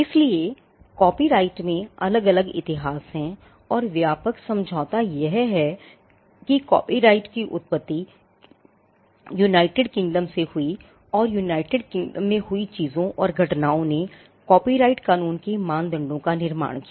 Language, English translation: Hindi, So, there are different histories in copyright and the broad agreement is that the origin of copyright came from United Kingdom and the things and the events that happened in United Kingdom led to the creation of norms for copyright law